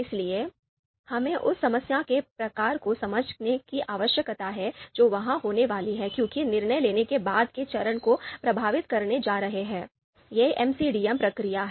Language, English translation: Hindi, So we need to understand the type of problem that is going to be there because that is going to influence the steps later on the later steps of the decision making, this MCDM process